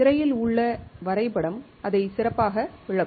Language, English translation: Tamil, The drawing on the screen would explain it better